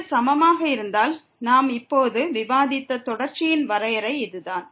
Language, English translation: Tamil, If this is equal, then this is the definition of the continuity we have just discussed